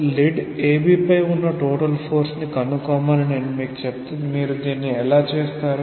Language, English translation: Telugu, So, if I tell you find out the total force on the lead AB; how will you do it